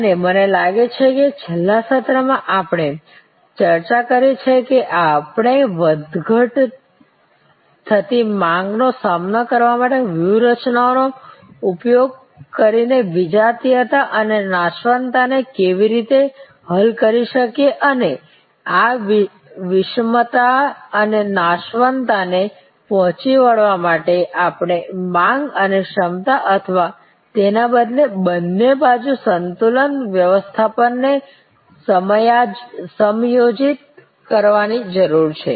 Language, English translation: Gujarati, And I think in the last session we have discussed that how we can tackle heterogeneity and perishability by using strategies to cope with fluctuating demand and we need to adjust demand and capacity or rather both side balancing management to tackle this heterogeneity and perishability